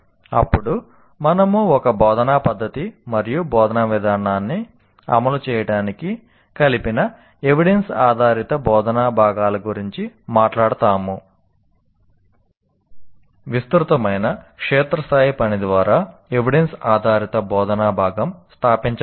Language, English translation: Telugu, And then we talk about the evidence based instructional components which are combined to implement an instructional method and an instructional approach